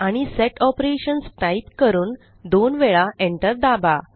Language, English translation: Marathi, And type Set Operations: and press Enter twice